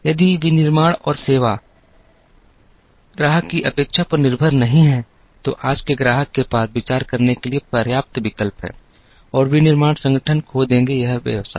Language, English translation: Hindi, If the manufacturing and service is not upto the expectation of the customer, today’s customer has enough alternatives to consider and the manufacturing organization would lose it is business